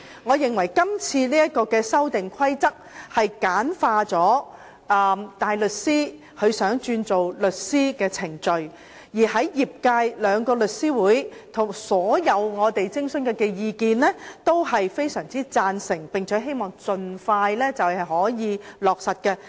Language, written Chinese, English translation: Cantonese, 我認為，今次的《修訂規則》簡化了大律師轉為律師的程序；而在我們徵詢後，兩大律師組織及業界的所有意見均非常贊同，並希望盡快可以落實。, In my view the Amendment Rules simplifies the procedure for a barrister to become a solicitor . Upon our consultation the two legal professional bodies and the sector expressed great support of the amendment and hoped that it could be implemented as soon as possible